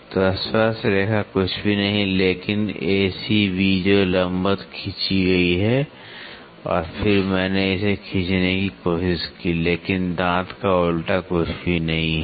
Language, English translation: Hindi, So, tangent is nothing, but A C B which is drawn perpendicular and then I tried to draw this is nothing, but the involute of a tooth